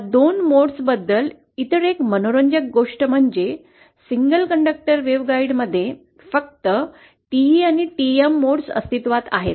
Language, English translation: Marathi, Other interesting thing about these two modes is in single conductor waveguides, only TE and TM modes exist